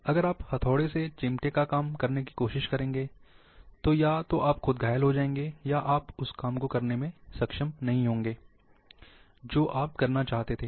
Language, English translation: Hindi, If you try to do the work of plier by hammer, either you will be injured yourself, or you will not be able to execute that work